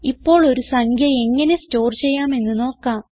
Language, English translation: Malayalam, Now let us see how to store a number